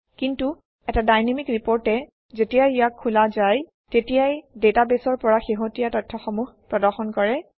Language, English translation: Assamese, But a Dynamic report will show current data from the database, whenever it is opened for viewing